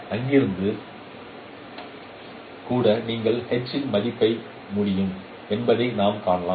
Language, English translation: Tamil, So we can see that even from there we can estimate H